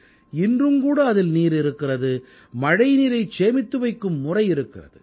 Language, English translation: Tamil, It is still capable of storing water and has a mechanism to harvest rain water